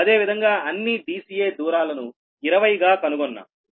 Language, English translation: Telugu, similarly, all the distances d c will be find twenty